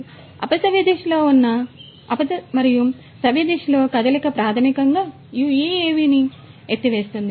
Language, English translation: Telugu, So, a combination of counterclockwise and clockwise motion basically lifts this UAV